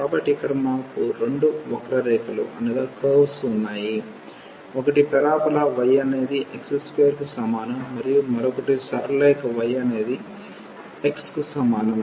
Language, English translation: Telugu, So, we have two curves here: one is the parabola y is equal to x square, and the other one is the straight line y is equal to x